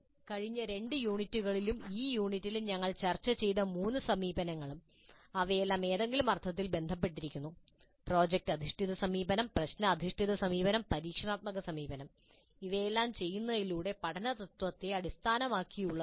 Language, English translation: Malayalam, And the three approaches which we have discussed in the last two units and this unit they are all related in some sense in the sense that they all are based on the principle of learning by doing, project based approach, problem based approach and experiential approach